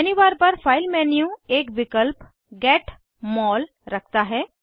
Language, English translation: Hindi, The File menu on the menu bar, has an option Get MOL